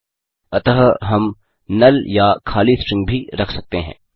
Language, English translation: Hindi, So we can even put a null string or an empty string